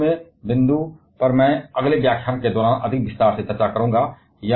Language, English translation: Hindi, This point I shall be discussing in more detail during the next lecture